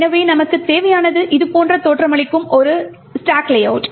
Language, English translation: Tamil, So, what we need essentially is the stack layout which looks something like this